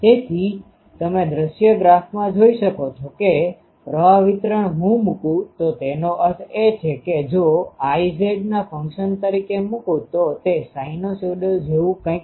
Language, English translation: Gujarati, So, that you can see in the view graph, that the current distribution if I plot; that means, I z if I plot as a function of z it is something like a sinusoidal